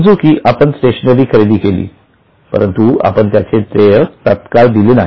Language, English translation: Marathi, Suppose we have purchased stationery but we don't pay the stationery bill immediately